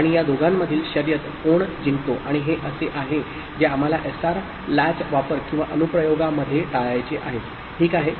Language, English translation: Marathi, And a race between these two who wins and that is something which we would like to avoid in a SR latch use or application, ok